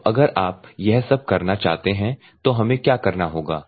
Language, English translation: Hindi, So, if at all you want to do this thing what we will have to do